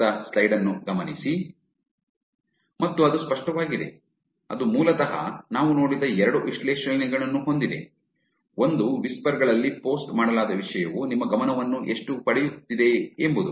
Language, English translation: Kannada, And that is clear, that is basically has two analysis that we saw, one is how much you attention is the content posted on whisper is getting